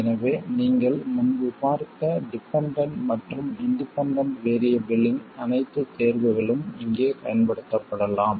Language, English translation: Tamil, So, all the choices of dependent and independent variables you saw earlier can also be used here